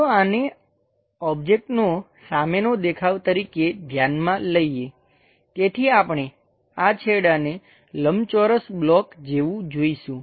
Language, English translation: Gujarati, Let us consider the front view of the object is this one, so that we will see these ends something like a rectangular block